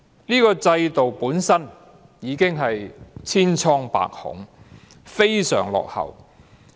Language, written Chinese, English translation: Cantonese, 這個制度本身已經千瘡百孔，非常落後。, The system per se is riddled with flaws and extremely backward